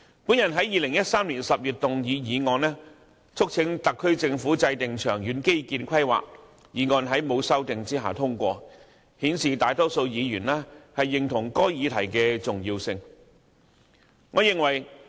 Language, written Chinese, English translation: Cantonese, 我在2013年10月提出議案，促請政府制訂長遠基建規劃，議案在未經修訂下通過，顯示大多數議員認同該議題的重要性。, In October 2013 I moved a motion in the Council urging the Government to formulate long - term infrastructure planning . The motion was passed without amendment indicating the importance attached to the matter by most Members